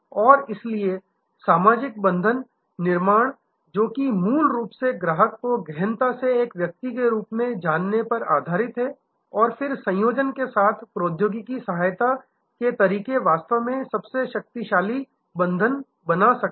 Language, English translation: Hindi, And so the social bond creation which basically is based on knowing the customer indepth as a individual and then combining that with technology assisted ways of customization can create really the most powerful bond